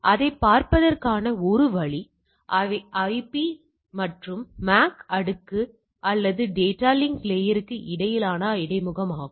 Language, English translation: Tamil, So, one way of looking at it, they are interface between the IP and the your MAC layer or data link layer all right